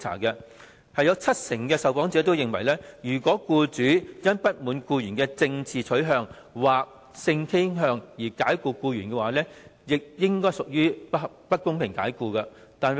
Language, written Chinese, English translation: Cantonese, 有七成受訪者認為，如果僱主因不滿僱員的政治取向或性傾向而解僱僱員，亦應該屬於不公平解僱。, Among the interviewees 70 % thought that if an employee was dismissed because of hisher political or sexual orientation the dismissal should be regarded as unfair too